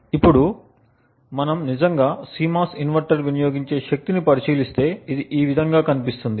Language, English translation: Telugu, Now if we actually look at the power consumed by the CMOS inverter, it would look something like this